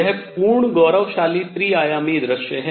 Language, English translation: Hindi, This is the full glorified 3 dimensional view